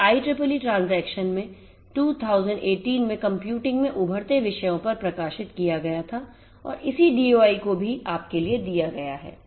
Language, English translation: Hindi, It was published in the IEEE Transactions on Emerging Topics in Computing in 2018 and the corresponding DOI is also given for you